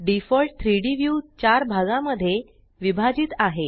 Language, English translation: Marathi, The default 3D view can be divided into 4 parts